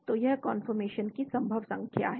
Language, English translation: Hindi, So this is number of conformation that are possible